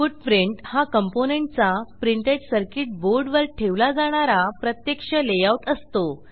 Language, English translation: Marathi, Footprint is the actual layout of the component which is placed in the Printed Circuit Board